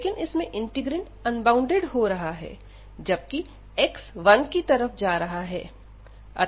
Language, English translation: Hindi, So, in that case, but this integrand is getting unbounded, when x is approaching to 1